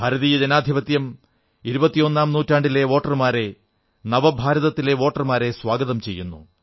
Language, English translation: Malayalam, The Indian Democracy welcomes the voters of the 21st century, the 'New India Voters'